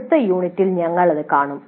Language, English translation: Malayalam, That is what we will be seeing in the next unit